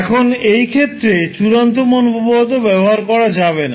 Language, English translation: Bengali, So that means that in this case you cannot apply the final value theorem